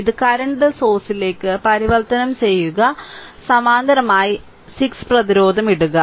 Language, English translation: Malayalam, You convert it to a current source and in parallel you put 6 ohm resistance